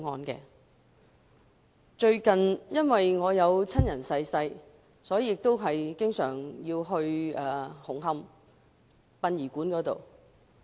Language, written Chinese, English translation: Cantonese, 由於我有親人近日離世，所以要經常出入紅磡殯儀館一帶。, As a family member of mine passed away recently I have to visit a funeral parlour in Hung Hom frequently